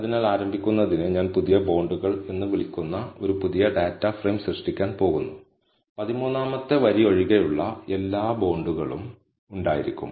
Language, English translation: Malayalam, So, to start with, I am going to create a new data frame called bonds new and it will have all rows of bonds except the 13th row